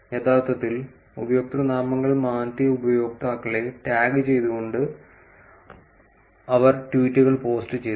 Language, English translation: Malayalam, And she posted tweets tagging the users who had actually changed the usernames